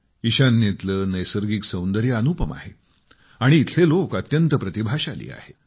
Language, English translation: Marathi, The natural beauty of North East has no parallel and the people of this area are extremely talented